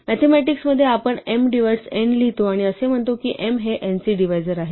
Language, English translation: Marathi, In mathematics we write m divides n to say that m is a divisor of n